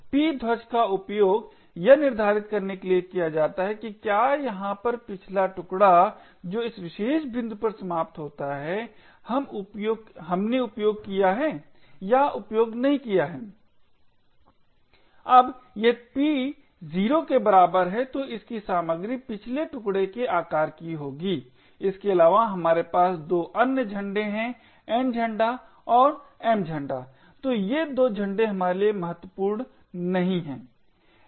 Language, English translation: Hindi, The P flag is used to determine whether the previous chunk over here which ends at this particular point is we used or an used, now if P equals to 0 then the contents of this would be the size of the previous chunk besides this we have 2 other flags the N flag and the M flag, so these 2 flags are not very important for us